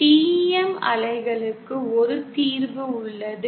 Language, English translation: Tamil, And there is a single solution for TEM waves